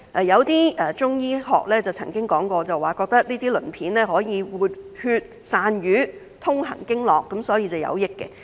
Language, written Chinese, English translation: Cantonese, 一些中醫學家曾經說過，這些鱗片可以活血散瘀、通行經絡，所以是有益的。, According to some Chinese medicine practitioners these scales are useful as they can invigorate blood circulation disperse blood stasis and dredge meridians